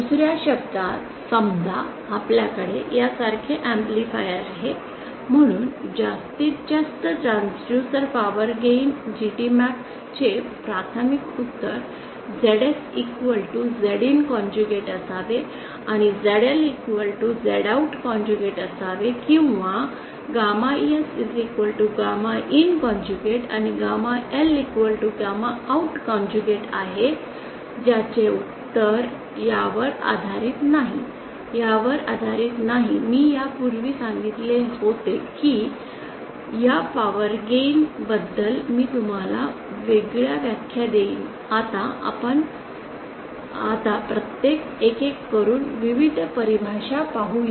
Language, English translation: Marathi, In other words suppose we have an amplifier like this so preliminary answer for maximum transducer power gain GT max will be ZS should be equal to Z in star and ZL should be equal to Z OUT star or gamma S should be equal to gamma in star and gamma L should be equal to gamma OUT star that is the preliminary answer based on this not based on this as I said I had said earlier that I would give you a number of definitions about these power gains so let us now one one one by one see the various definitions